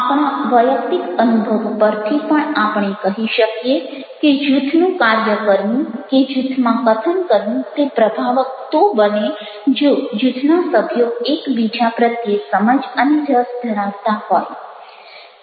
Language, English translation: Gujarati, from our personal experience also, we can say that ah, functioning of the group or speaking in a group ah become effective only if the member of groups are having ah understanding, liking for each other